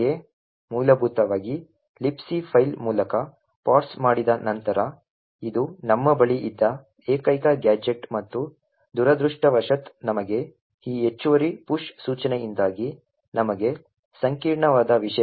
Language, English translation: Kannada, Essentially after parsing through the libc file this is the only gadget which we had and unfortunately for us it has complicated things for us because of this additional push instruction